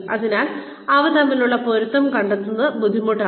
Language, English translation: Malayalam, So, finding a match between these things, becomes difficult